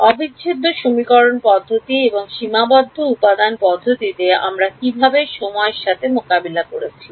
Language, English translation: Bengali, In integral equation methods and finite element methods what was how did we deal with time